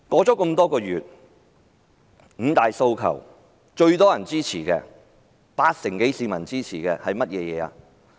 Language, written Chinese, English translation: Cantonese, 這多個月來，"五大訴求"中最多人支持、有八成多市民支持的是甚麼？, Over these past few months which one of the five demands has the most support―support from over 80 % of the people?